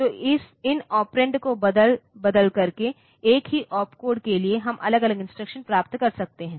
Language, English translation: Hindi, So, for same opcode by varying these operands; so we can get different instructions